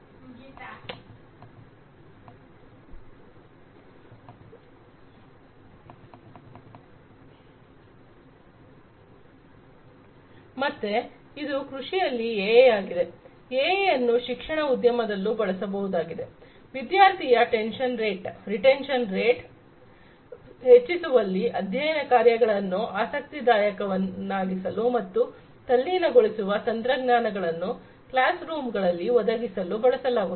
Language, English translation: Kannada, So, that is the AI in agriculture, AI could be used in education industry to improve the student retention rate for making interesting study programs and for providing immersive technology into the classroom